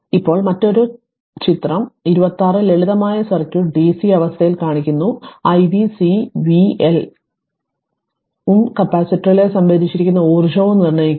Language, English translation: Malayalam, Now, another 1 is that figure 26 shows the simple circuit under dc condition, determine i v C v L and the energy stored in the what you call in the capacitor